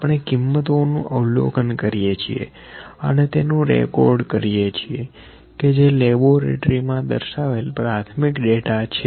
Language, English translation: Gujarati, We observe the value then we record it that is primary data whatever in laboratory demonstration